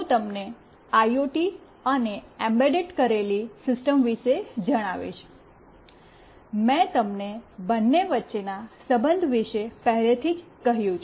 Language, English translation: Gujarati, Let me tell you about IoT and embedded system, I have already told you the relation between the two